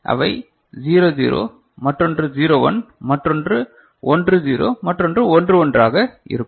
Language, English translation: Tamil, So, one could be 0 0, another 0 1, another 1 0, another 1 1 right